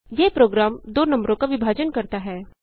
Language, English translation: Hindi, This program divides two numbers